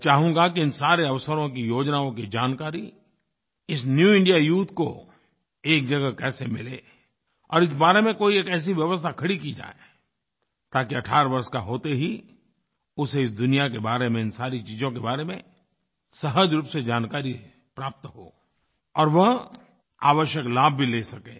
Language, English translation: Hindi, I wish that the New India Youth get information and details of all these new opportunities and plans at one place and a system be created so that every young person on turning 18 should automatically get to know all this and benefit from it